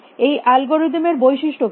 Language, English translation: Bengali, What is the characteristic of this algorithm